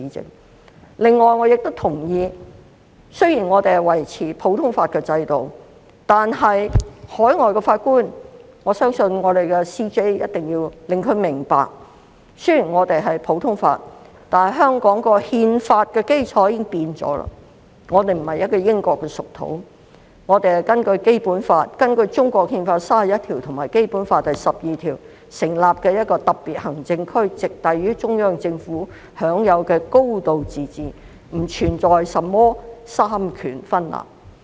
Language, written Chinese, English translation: Cantonese, 此外，我亦同意，雖然我們維持普通法制度，但我相信終審法院首席法官必須令海外法官明白，香港的憲法基礎已經改變了，香港並非英國屬土，香港是根據《中華人民共和國憲法》第三十一條及《基本法》第十二條成立的一個特別行政區，直轄於中央政府，享有"高度自治"，並不存在甚麼三權分立。, In addition I also agree that while we maintain the common law system the Chief Justice of CFA must make overseas judges understand that the constitutional basis of Hong Kong has changed . Hong Kong is no longer a British dependent territory . Hong Kong is a special administrative region established under Article 31 of the Constitution of the Peoples Republic of China and Article 12 of the Basic Law